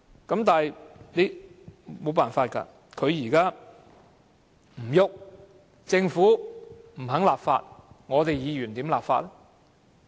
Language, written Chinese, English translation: Cantonese, 可是，沒有辦法，政府不肯立法，議員又如何立法呢？, If the Government is unwilling to enact legislation on this how can Members enact such legislation?